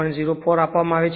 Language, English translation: Gujarati, 04 right it is given